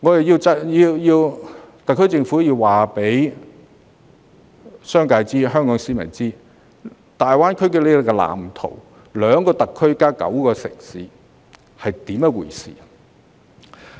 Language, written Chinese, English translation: Cantonese, 因此，特區政府應告知商界和廣大市民香港在大灣區發展的藍圖和兩個特區加上9個城市是甚麼回事。, Therefore the SAR Government should inform the business sector as well as the general public of such a blueprint and what the two SARs plus nine cities 92 are all about